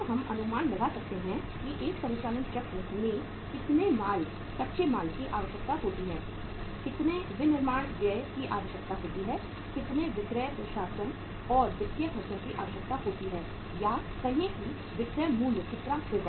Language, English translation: Hindi, Then we can estimate that in the one operating cycle how much raw material is required, how much manufacturing expenses are required, how much selling administration and financial expenses are required or how much will be the say selling price